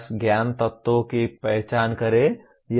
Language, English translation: Hindi, Just identify the knowledge elements